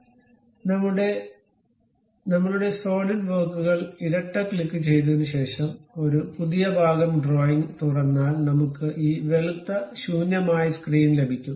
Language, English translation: Malayalam, So, after double clicking our Solidworks, opening a new part drawing we will have this white blank screen